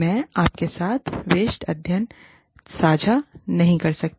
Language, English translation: Hindi, I cannot share the case study, with you